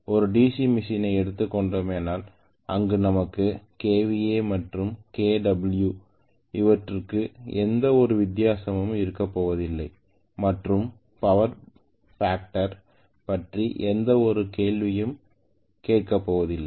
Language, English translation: Tamil, As far as the DC machine is concerned, we are not going to have any difference between kva and kilo watt there is no question of any power factor